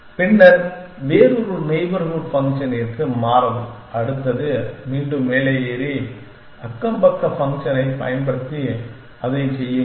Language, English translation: Tamil, Then, switch to a different neighborhood function the next one an en claim up again and then keep doing that using neighborhood function